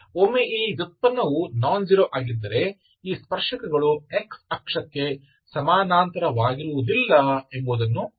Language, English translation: Kannada, So once this derivative is nonzero, you can see that these tangents are not parallel to x axis